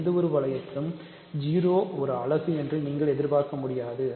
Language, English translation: Tamil, So, in any ring you do not expect 0 to be a unit